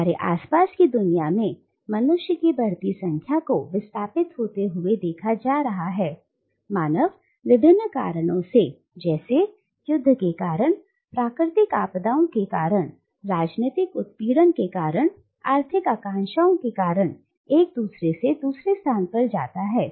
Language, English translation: Hindi, The world around us is seeing an ever growing number of humans being displaced, humans moving from one place to another because of various reasons, because of war, because of natural calamities, because of political persecution, because of economic aspirations and so on and so forth